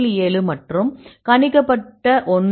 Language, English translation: Tamil, 7 and the predicted one is 0